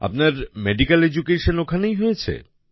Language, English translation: Bengali, Your medical education took place there